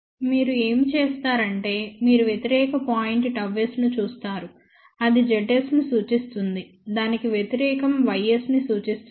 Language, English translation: Telugu, Then, what you do is you take the opposite point of that see gamma s represent z s opposite to that will represent y s